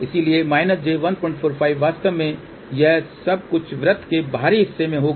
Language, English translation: Hindi, 45 actually all this thing will be at the outer of the circle